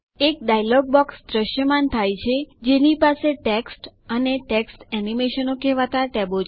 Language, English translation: Gujarati, A dialog box appears which has tabs namely Text and Text Animation